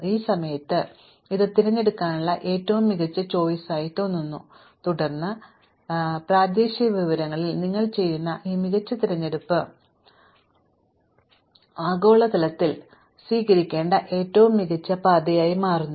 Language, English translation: Malayalam, At this point, this looks like the best choice to make, and then somehow magically this best choice that you make on local information turns out to be globally the best trajectory to take